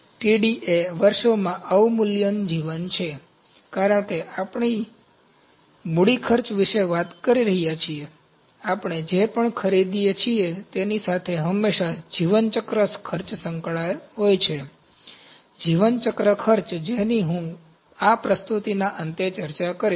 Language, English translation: Gujarati, Td is depreciation life in years, because we are talking about the capital cost, there is always life cycle cost associated with anything that we purchase, life cycle cost that I will discuss in the end of this presentation